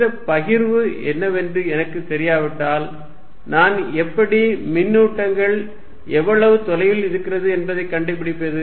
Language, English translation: Tamil, And I do not know what this distribution is, if I do not know what this distribution is how do I figure out, how far are the charges